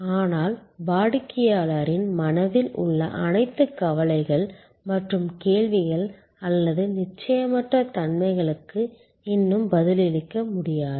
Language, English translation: Tamil, But, still cannot respond to all the anxieties and queries or uncertainties in customer's mind